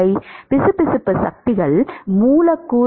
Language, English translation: Tamil, Viscous forces are the forces molecule